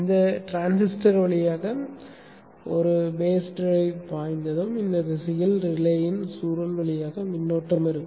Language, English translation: Tamil, Once a base drive flows through this transistor there will be a current flow through the coil of the relay in this direction